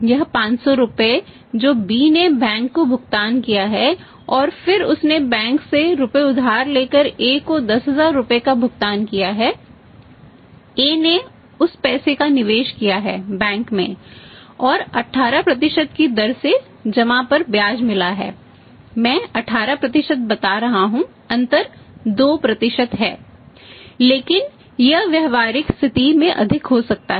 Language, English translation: Hindi, This 500 rupees which he has paid to the bank and then he paid 10000 rupees to A by boring the money from the bank, A has invested that money in the bank and has got interest on deposits at the rate of 18%, I am telling 18% the difference is 2 but it can be more in the practical situation